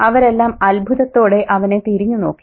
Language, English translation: Malayalam, They all turned to stare at him in amazement